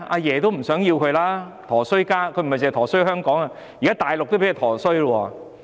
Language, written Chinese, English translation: Cantonese, 她是個"陀衰家"，不止"陀衰"香港，現在大陸也被她"陀衰"。, She will cause harm to others not only is Hong Kong adversely affected but the Mainland has also been implicated